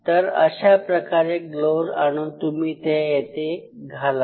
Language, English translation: Marathi, So, he carries the gloves from here and he put on the gloves here